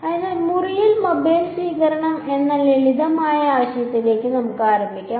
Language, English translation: Malayalam, So, let us start with this simple idea of mobile reception in room